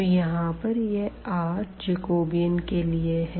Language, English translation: Hindi, So, this r here that is for the Jacobian